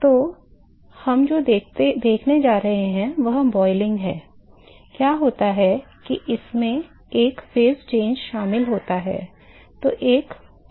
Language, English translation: Hindi, So, what we going to see is in boiling what happens that the there is a phase changes is involved